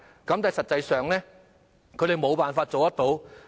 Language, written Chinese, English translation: Cantonese, 但是，實際上，他們無法做得到。, In fact they failed to undertake the work